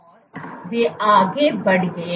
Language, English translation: Hindi, And they went further